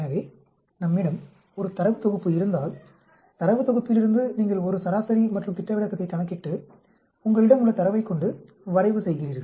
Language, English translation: Tamil, So if we have a data set, from the data set you calculate a mean and a standard deviation and then you plot that with the data which you have